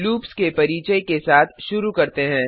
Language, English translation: Hindi, Let us start with the introduction to loops